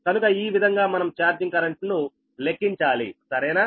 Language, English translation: Telugu, so this is how to calculate the charging current right now